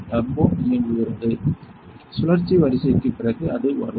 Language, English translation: Tamil, Turbo is running; after cycle sequence, it will come